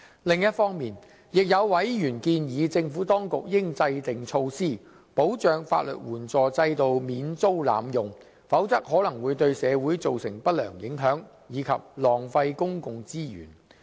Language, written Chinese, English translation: Cantonese, 另一方面，有委員建議政府當局應制訂措施，保障法律援助制度免遭濫用，否則可能會對社會造成不良影響，以及浪費公共資源。, On the other hand some Members suggest that the Administration should put in place measures to safeguard against abuse of the legal aid system which may adversely affect society and waste public resources